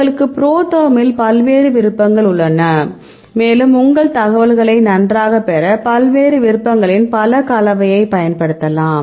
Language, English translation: Tamil, So, you have various options in ProTherm and you can use the multiple combination of different options to get your information fine